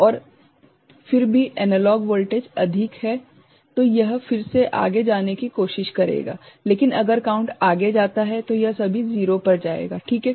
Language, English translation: Hindi, And still the analog voltage is more ok, then it will try to go again further, but if the counter goes further, then it will go to all 0 is not it